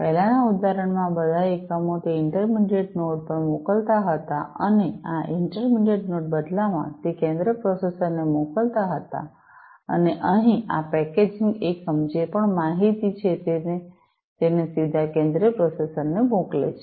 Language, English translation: Gujarati, In the previous example all these units, were sending it to that intermediate node and this intermediate node, in turn was sending it to the central processor and over here, this packaging unit, whatever information it has it sends it directly to the central processor